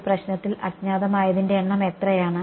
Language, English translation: Malayalam, What are the number of unknowns in this problem